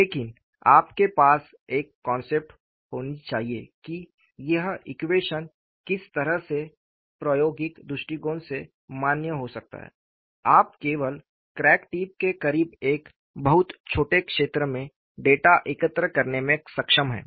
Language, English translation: Hindi, But, you will have to have a concept, that what way, this equation could be valid from an experimental point of view is, you are able to collect data, only a very small zone close to the crack tip